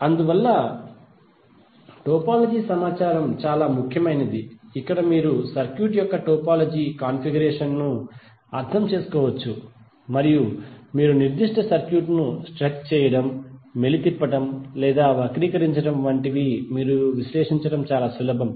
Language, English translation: Telugu, So that is why the topology information is very important where you can understand the topology configuration of the circuit and you can stretch, twist or distort that particular circuit in such a way that it is easier you to analyze